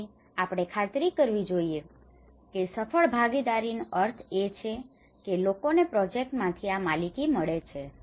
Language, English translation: Gujarati, So we should make sure that a successful participation means that people get these ownerships from the project